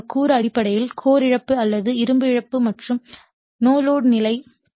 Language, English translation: Tamil, So, this component actually basically it will give your core loss or iron loss and the no load condition right